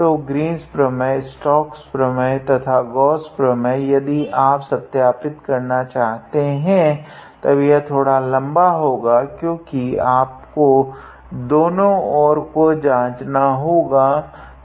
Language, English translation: Hindi, So, Green’s theorem, Stokes’ theorem or Gauss theorem if you want to verify then it will be lengthy because you have to check both sides of the identity